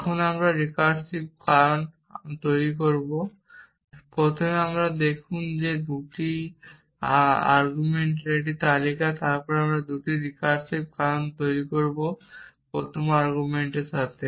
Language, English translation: Bengali, Now, we will make recursive cause first you see that this is a list of 2 arguments then we will make 2 recursive cause one with the first argument